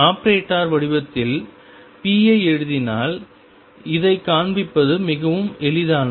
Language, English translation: Tamil, This is very easy to show if you write p in the operator form